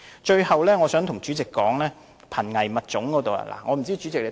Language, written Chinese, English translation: Cantonese, 最後，我想談談保護瀕危物種的工作。, Last but not least I would like to talk about the protection of endangered species